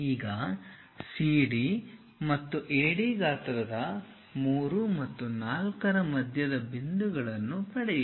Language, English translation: Kannada, Now, obtain the midpoints 3 and 4 of the size CD and AD